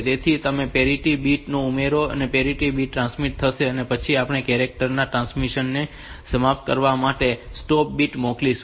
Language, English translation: Gujarati, So, you add the parity bit and the parity bit will be transmitted and then we will send the stop bits for ending the transmission of the character